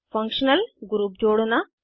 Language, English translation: Hindi, * Add functional groups